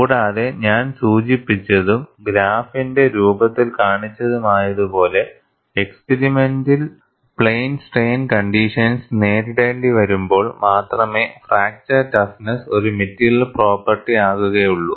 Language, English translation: Malayalam, And, as I had mentioned and also shown in the form of graph, fracture toughness becomes a material property only when plane strain conditions are met in the experiment